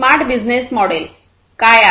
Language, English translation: Marathi, What is the smart business model